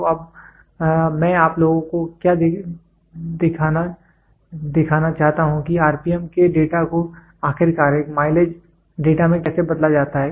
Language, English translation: Hindi, So, now, what I want to you guys to see is how is the data of rpm getting converted finally, into a mileage data